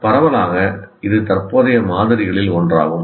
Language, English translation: Tamil, Broadly, this is the one of the current models